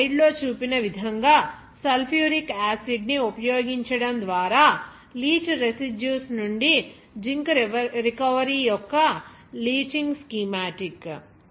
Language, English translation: Telugu, Here schematic of leaching of Zinc recovery from leach residue by using sulphuric acid as shown in this slide